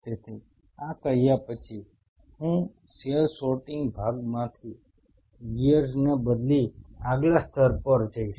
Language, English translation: Gujarati, So, having said this, now I will switch gears from cell sorting part to a next level